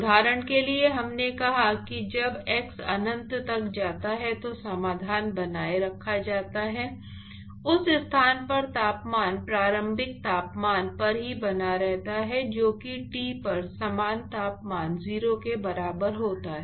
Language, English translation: Hindi, So, for example, we said that when x tends to infinity, the solution is maintained the temperature at that location is maintained at the initial temperature itself, which is the same temperature at T is equal to 0